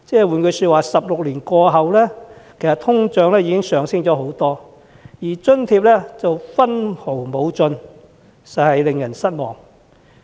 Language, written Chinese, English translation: Cantonese, 換言之 ，16 年來通脹升幅不少，但津貼卻分毫不增，實在令人失望。, In other words the subsidy has not been increased in line with the high rise in inflation in 16 years and this is very disappointing